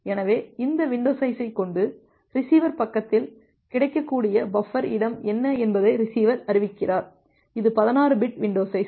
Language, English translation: Tamil, So, with this window size, the receiver is announcing that what is the available buffer space in the receiver side; this is 16 bit window size